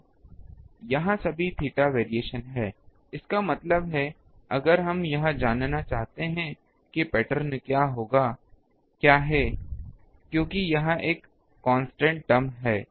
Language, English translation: Hindi, So, so all the theta variation is here; that means, if we want to find what is the pattern, because this is a constant term